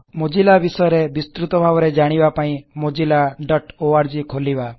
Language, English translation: Odia, Visit mozilla.org for detailed information on Mozilla